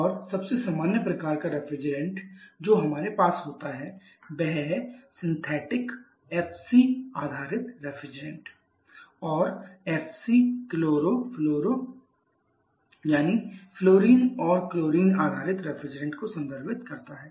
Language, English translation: Hindi, And the most common type of refrigerant that we have is the synthetic FC based refrigerants and FC refers to fluoro chloro that is fluorine and chlorine based refrigerants